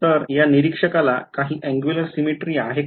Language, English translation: Marathi, When will there be angular symmetry